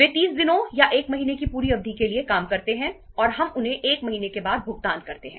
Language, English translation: Hindi, They work for entire period of 30 days or 1 month and we pay them after 1 month